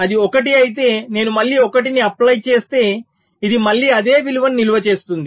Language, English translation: Telugu, so if it is one, i have applied one again, so it will again get stored, the same value